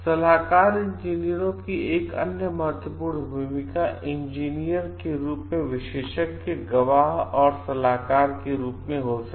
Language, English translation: Hindi, Another important role of consultant engineers could be engineers as expert, witnesses and advisers